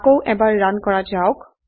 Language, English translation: Assamese, Let us run again